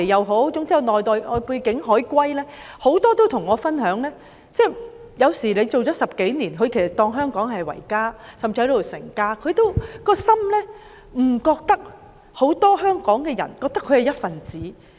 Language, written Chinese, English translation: Cantonese, 許多從外地回流的"海歸"，也曾跟我分享，即使他們在香港工作了10多年，以香港為家，甚至在這裏成家，仍覺得很多香港人未有視他們為一分子。, Many Chinese who returned after studying overseas have told me that though they have been working in Hong Kong for a dozen of years and that they regard Hong Kong their home and set up their families here they are not regarded as a member of Hong Kong